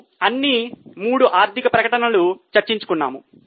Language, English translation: Telugu, So, we discussed about all the three financial statements